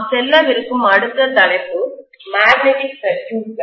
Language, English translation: Tamil, The next topic that we are going to venture into is magnetic circuits